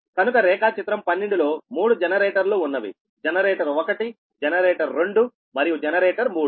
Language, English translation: Telugu, there are three generators: generator one, generator two and generator three